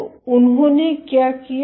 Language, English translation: Hindi, So, what they did